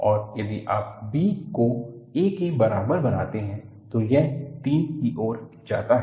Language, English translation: Hindi, And, if you make b equal to a, this goes to 3